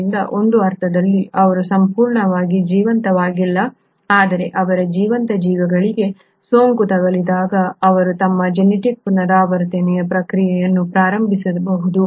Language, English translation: Kannada, So in a sense they are not completely living but when they infect a living organism, they then can initiate the process of their genetic replication